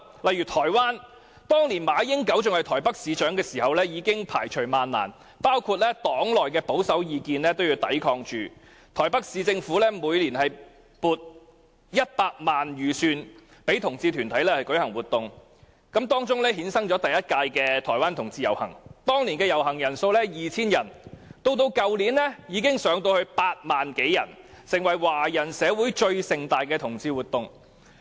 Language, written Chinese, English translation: Cantonese, 在台灣，當馬英九仍是台北市市長時，已經排除萬難，無懼黨內保守派的反對意見，台北市政府每年撥出100萬元予同志團體舉行活動，因而衍生台灣同志遊行，第一屆有 2,000 人參與遊行，而去年參與人數已上升至8萬多，成為華人社會中最盛大的同志活動。, In Taiwan when MA Ying - jeou was the mayor of Taipei city after overcoming many obstacles and paying no heed to the objections of the conservative members of his party he asked the Taipei municipal government to allocate 1 million each year to sponsor events held by LGBT organizations . That was how the LGBT parade in Taiwan came about . In the first year 2 000 people participated in the parade and the number of participants rose to over 80 000 last year